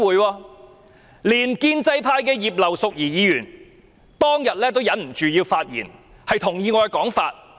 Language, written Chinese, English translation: Cantonese, 當天連建制派的葉劉淑儀議員都忍不住發言，同意我的說法。, On that day even Mrs Regina IP of the pro - establishment camp could not help rising to speak in support of me